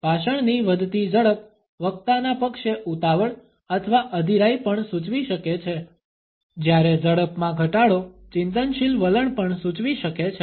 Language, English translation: Gujarati, An increased rate of speech can also indicate a hurry or an impatience on the part of the speaker, whereas a decreased rate could also suggest a reflective attitude